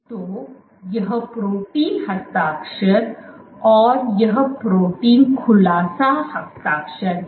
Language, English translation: Hindi, So, this is the protein signature, protein unfolding signature